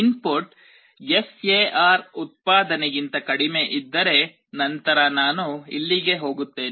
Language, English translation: Kannada, If the if the input is less than that the SAR output; then I go here